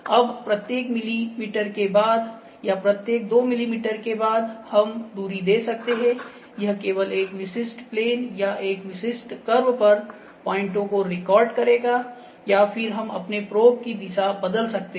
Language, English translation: Hindi, Now, after each mm or after each 2 mms, we can just give that distance, it will just recording the points on a specific plane or on a specific curve or we can then change the direction of our probe those things can happen